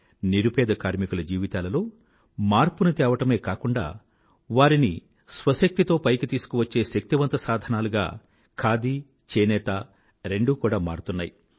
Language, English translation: Telugu, Khadi and handloom have transformed the lives of the poorest of the poor and are emerging as a powerful means of empowering them